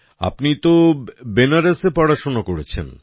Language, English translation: Bengali, You have studied in Banaras